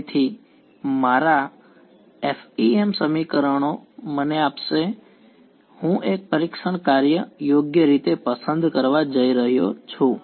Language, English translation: Gujarati, So, my FEM equations are going to give me I am going to choose a testing function right